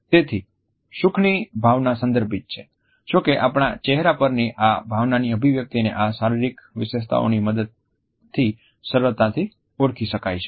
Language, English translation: Gujarati, So, the emotion of happiness is contextual; however, the expression of this emotion on our face can be easily recognized with the help of these physical features